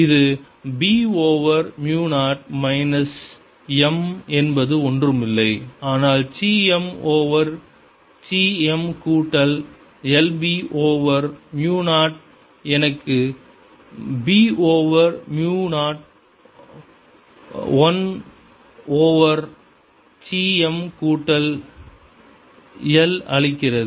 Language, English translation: Tamil, applied is b over mu zero minus m, which is nothing but chi m over chi m, plus one, b over mu zero, which gives me b over mu zero, one over chi m plus one, so h